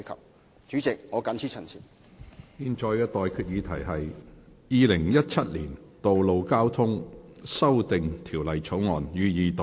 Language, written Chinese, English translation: Cantonese, 我現在向各位提出的待決議題是：《2017年道路交通條例草案》，予以二讀。, I now put the question to you and that is That the Road Traffic Amendment Bill 2017 be read the Second time